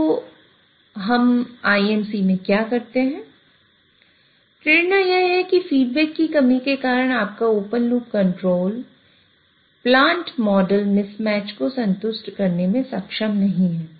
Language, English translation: Hindi, So what we do in IMC, the principal or the motivation is that because of lack of feedback, your open loop control is not able to satisfy, worry in the case of plant model mismatch